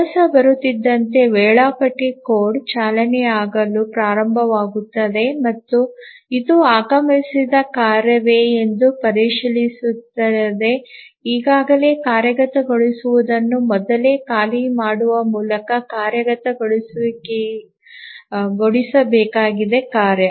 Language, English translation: Kannada, So as the job arrives, the scheduler code starts running and checks whether this is a task which has arrived needs to be executed by preempting the already executing task